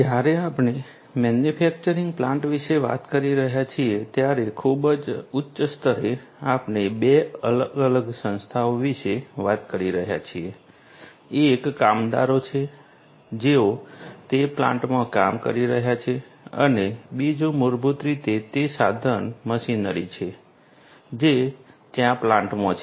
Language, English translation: Gujarati, When we are talking about a manufacturing plant, at a very high level we are talking about 2 distinct entities one is the workers who are working in that plant and second is basically the equipments that are there in the plant, the machineries that are there in the plant